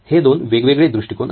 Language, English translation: Marathi, These are from 2 perspectives